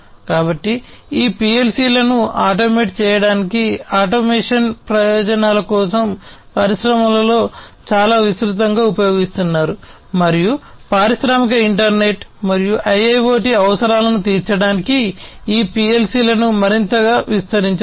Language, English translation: Telugu, So, these PLC’s are quite widely used in the industries to automate, for automation purposes and these PLC’s could be extended further to be able to serve the industrial internet and IIoT requirements